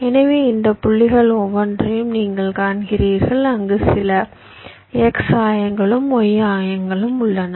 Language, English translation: Tamil, ah, there, having some x coordinates and y coordinates